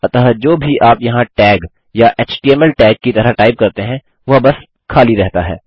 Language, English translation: Hindi, So whatever you type in here as tag or as html tag, its just blank